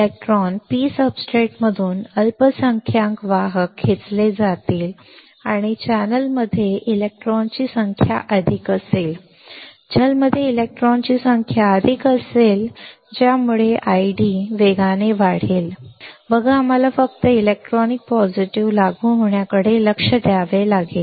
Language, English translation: Marathi, The electron ; the minority carriers from the P substrate will be pulled up and there will be more number of electrons in the channel, there will be more number of electrons in the channel that will cause I D to increase rapidly; see we have to just understand positive apply electron will be attracted